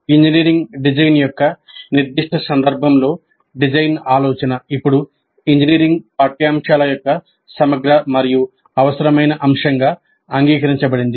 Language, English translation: Telugu, Design thinking in the specific context of engineering design is now accepted as an integral and necessary component of engineering curricula